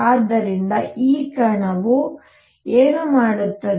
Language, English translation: Kannada, So, what will this particle do